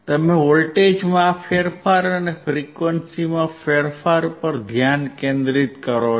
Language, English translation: Gujarati, 52 volts, you keep focusing on this change in voltage and change in frequency